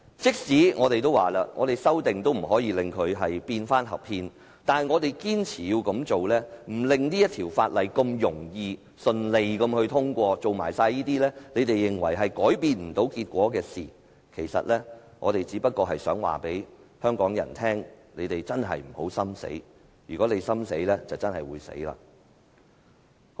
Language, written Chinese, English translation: Cantonese, 即使一如我們所說，我們提出修正案也無法令《條例草案》變得合憲，但我們仍堅持這樣做，不讓《條例草案》草率通過，繼續做他們認為無法改變結果的事情，其實我們只想告訴香港人真的不要心死，否則，香港便真的會死。, Even though as we have said there is no way our proposed amendments can make the Bill constitutional we still insist on doing so in order not to let the Bill pass casually . We continue to do what they regard as futile . We just want to tell Hongkongers to never give up hope